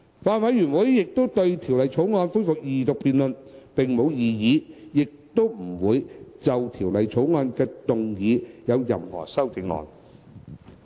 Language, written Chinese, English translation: Cantonese, 法案委員會對《條例草案》恢復二讀辯論並無異議，亦不會就《條例草案》動議任何修正案。, The Bills Committee raises no objection to the resumption of the Second Reading debate on the Bill and it will not propose any amendments to the Bill